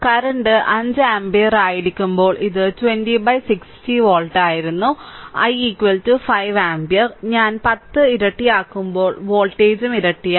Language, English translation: Malayalam, So, it was 20 by 60 volt when current was 5 ampere, i is equal to 5 ampere, when i was made 10 that is doubled so voltage also had became doubled